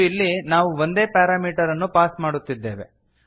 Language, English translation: Kannada, And here we are passing only one parameter